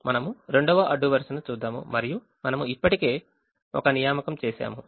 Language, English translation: Telugu, now we look at the second row and then we realize we already made an assignment here